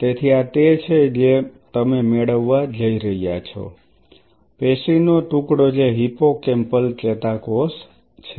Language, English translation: Gujarati, So, this is what you are going to get, piece of tissue which is the hippocampal neuron